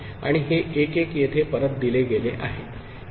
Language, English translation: Marathi, And this was 1 1 is fed back here 1